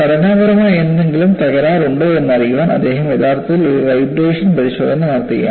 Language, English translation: Malayalam, He is actually doing a vibration test to find out whether there are any structural damage